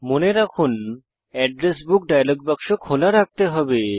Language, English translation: Bengali, Remember, you must keep the Address Book dialog box open